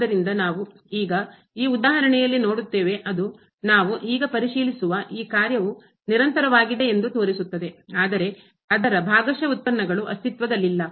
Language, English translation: Kannada, So, anything is possible and we will see now in this example which shows that this function we will check now is continuous, but its partial derivatives do not exist